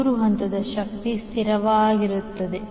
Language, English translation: Kannada, The three phased power will remain constant